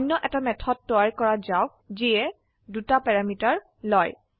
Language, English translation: Assamese, Let us create another method which takes two parameter